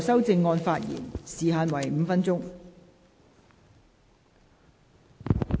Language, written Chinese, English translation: Cantonese, 代理主席，時限是否5分鐘？, Deputy President is the time limit five minutes?